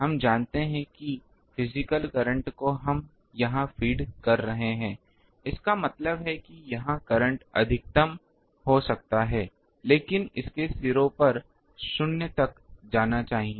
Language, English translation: Hindi, So, we know that physically the current actually we are feeding here; that means, the current may be maximum here, but it should go to 0 at the ends